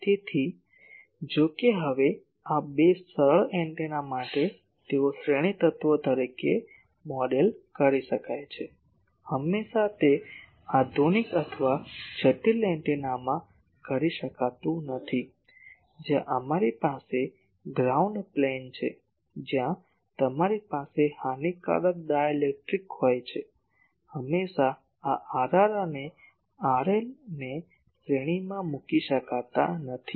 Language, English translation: Gujarati, So, though this two now, for simple antennas they can be modelled as series elements, always it cannot be done in modern or complex antennas, where you have a ground plane, where you have a lossy dielectric always this R r and R l cannot be put in series